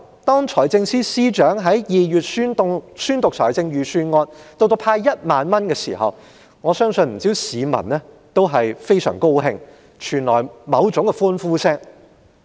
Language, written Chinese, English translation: Cantonese, 當財政司司長於2月宣讀預算案並公布會派發1萬元，我相信不少市民非常高興，並發出某種歡呼聲。, When the Financial Secretary delivered the Budget in February and announced the cash payout of 10,000 I believe many members of the public were very happy and even shouted for joy